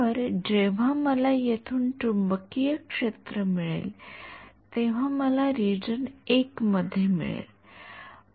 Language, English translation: Marathi, So, when I get the magnetic field from here, I am going to get so, in region 1